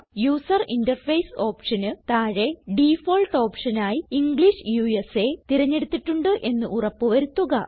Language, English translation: Malayalam, Under the option User interface,make sure that the default option is set as English USA